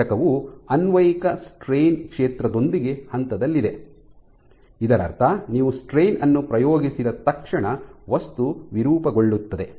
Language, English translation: Kannada, So, you have this component which is in phase with the applied strain field which means that as soon as you exert the strain immediately the material deforms